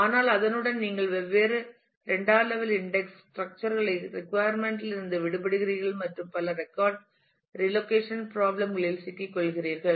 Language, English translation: Tamil, But with that you get yourself get rid of the requirement of maintaining different secondary index structures and getting into several record relocationess problems